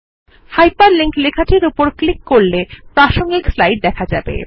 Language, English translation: Bengali, Clicking on the hyper linked text takes you to the relevant slide